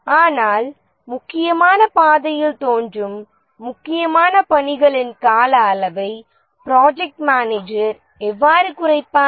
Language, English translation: Tamil, But how does the project manager reduce the duration of the critical tasks that appear on the critical path